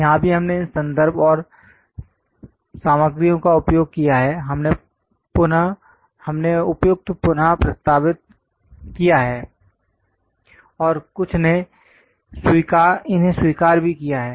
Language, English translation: Hindi, Wherever we have used these references and materials, we have suitably represented and some of them acknowledged also